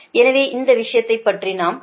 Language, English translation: Tamil, so we will not talk about this thing